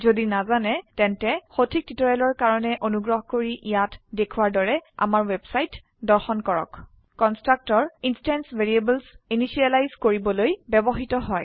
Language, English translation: Assamese, If not, for relevant tutorials please visit our website which is as shown, (http://www.spoken tutorial.org) Constructor is used to initialize the instance variables